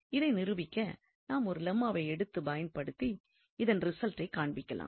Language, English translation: Tamil, So, to prove this result we will consider here this Lemma and using this Lemma we can show that this results holds